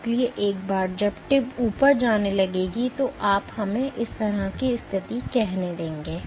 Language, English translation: Hindi, So, once the tip starts going up, you will have let us say a situation like this